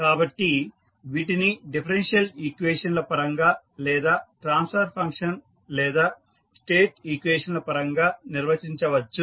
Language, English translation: Telugu, So, they can be defined with respect to differential equations or maybe the transfer function or state equations